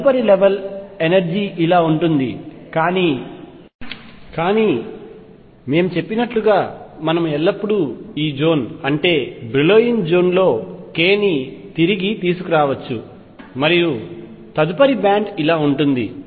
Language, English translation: Telugu, Next level of energy is like this, but as we said we can always bring k back to within this zone Brillouin zone and the next band then would look something like this